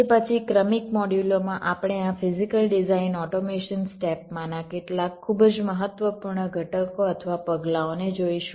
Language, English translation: Gujarati, then in the successive modules we shall be looking at some of the very important components or steps in this physical design automations step